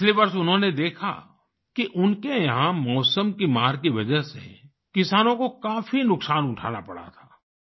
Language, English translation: Hindi, Last year he saw that in his area farmers had to suffer a lot due to the vagaries of weather